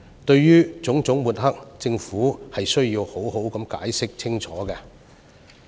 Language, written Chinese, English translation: Cantonese, 對於種種抹黑，政府需要好好解釋清楚。, The Government has to do its explaining properly and clearly